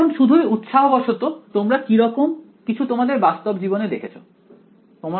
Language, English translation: Bengali, Now just out of curiosity have you seen something like this in real life